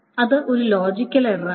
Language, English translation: Malayalam, That is a logical error, though